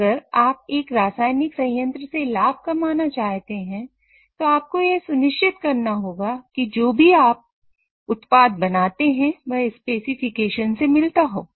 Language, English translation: Hindi, Now, if you have to make profit out of a chemical plant, you have to make sure that whatever the product which you are making meets the specification